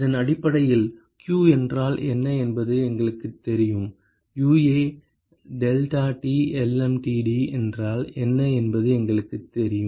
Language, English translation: Tamil, We know what is q based on this and we know what is the UA deltaT lmtd